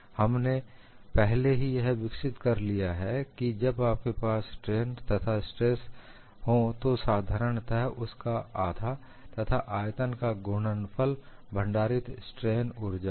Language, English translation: Hindi, We have already developed, when you have stresses and strains, simply a product one half of that into volume gives you the strain energy stored